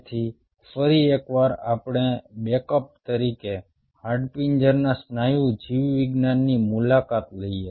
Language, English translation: Gujarati, so again, just lets visit the skeletal muscle biology as a backup